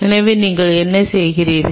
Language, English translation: Tamil, So, what all you did